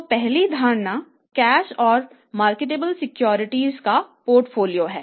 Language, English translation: Hindi, So first assumption is portfolio of cash and the marketable securities